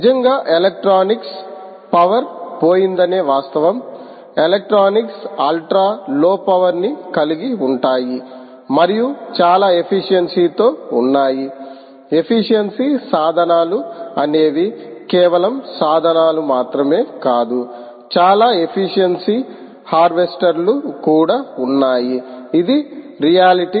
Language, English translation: Telugu, ah, the fact that the power, the electronics has gone, electronics has gone, ah, ultra low power, and there are very efficient ah efficient tools, not just tools, also a very efficient, not only efficient tools, but also very efficient ah, harvesters, harvesters